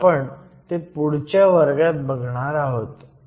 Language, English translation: Marathi, But, we would look at that in the next class